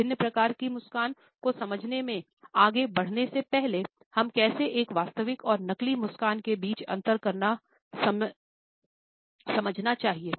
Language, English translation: Hindi, Before going further into understanding different types of a smiles, we must understand how to differentiate between a genuine and a fake smile